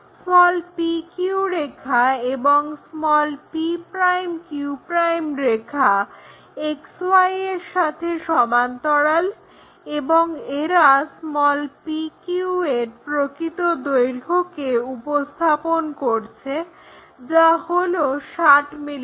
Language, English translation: Bengali, Now, we have to draw this p q line p q' are parallel to XY, and they are representing true length side of p q's which are 60 mm things